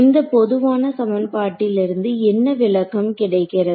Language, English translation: Tamil, So, what is this what is an interpretation of this general equation that I have